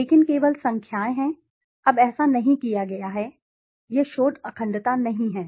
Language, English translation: Hindi, But only the numbers are there, now that is not done, this is not research integrity